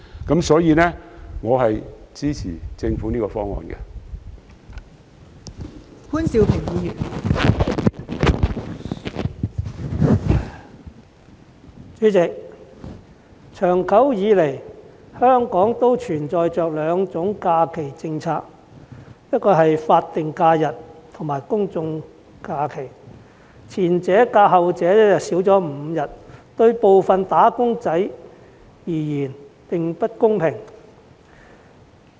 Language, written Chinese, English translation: Cantonese, 代理主席，香港長久以來都存在着兩種假期政策，即法定假日和公眾假期，而前者較後者少5天，對部分"打工仔"而言並不公平。, Deputy President all along there exist two types of holiday policy in Hong Kong namely statutory holidays SHs and general holidays GHs . As the former is five days less than the latter this is not fair to some wage earners